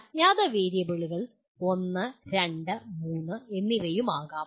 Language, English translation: Malayalam, Unknown variables may be one, two, three also